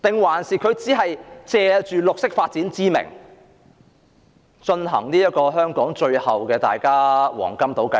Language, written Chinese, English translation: Cantonese, 還是，政府只是借綠色發展之名，進行香港最後的黃金島計劃？, Or the Government intends to carry out the final golden island plan for Hong Kong on the pretext of green development?